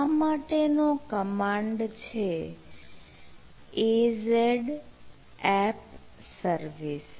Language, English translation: Gujarati, right, so the command is a z app service